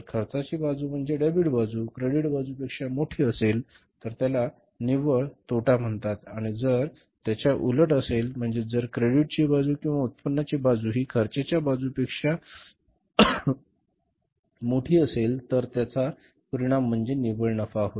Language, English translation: Marathi, If the expense side, debit side is bigger than the credit side, then that is called as the net loss and if the vice versa that if the credit side is bigger, means the income side is bigger than the cost side, debit side, then the result is the net profit